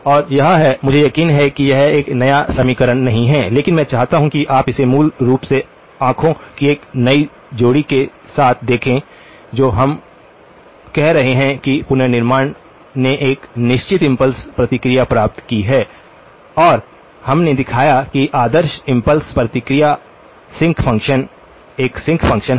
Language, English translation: Hindi, And this is a; I am sure this is a not an new equation but I want you to sort of look at it with a fresh pair of eyes so basically, what we are saying is that the reconstruction has gotten a certain impulse response, and we showed that the ideal impulse response is a sinc function